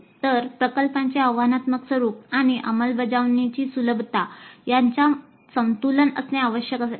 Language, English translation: Marathi, So the balance between the challenging nature of the project and the ease of implementation must be a very fine balance